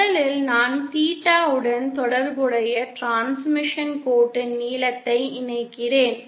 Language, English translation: Tamil, First I connect a length of transmission line corresponding to theta